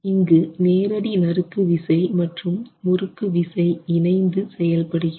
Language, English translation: Tamil, Then you have the direct shear and the torsional shear working together